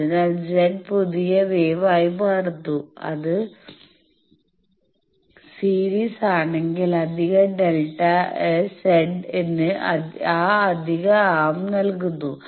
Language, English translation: Malayalam, So, Z becomes the new wave, if it is in series the extra delta Z is given by that extra arm